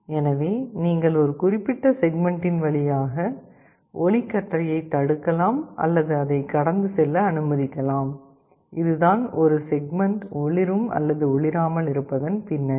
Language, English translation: Tamil, So, you can either block the beam of light passing through a particular segment or you can allow it to pass, in this way a segment is either glowing or a not glowing